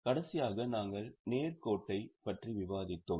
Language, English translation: Tamil, Last time we had discussed straight line